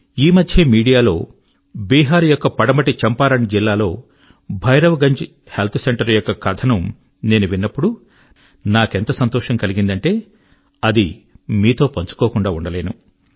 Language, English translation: Telugu, Just recently, I came across on the media, a story on the Bhairavganj Health Centre in the West Champaran district of Bihar